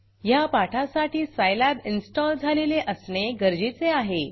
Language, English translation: Marathi, The prerequisite for this tutorial are Scilab should be installed on your computer